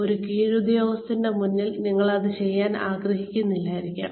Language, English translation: Malayalam, You may not, want to do that, in front of a subordinate